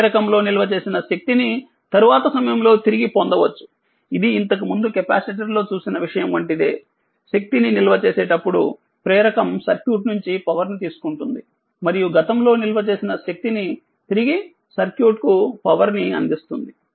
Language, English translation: Telugu, The energy stored in the inductor can be retrieved at a later time it is same philosophy like capacitor whatever we have just seen before; the inductor takes power from the circuit when storing energy and delivers power to the circuit when returning your previously stored energy right